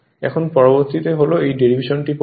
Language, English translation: Bengali, Now, next one is this derivation is later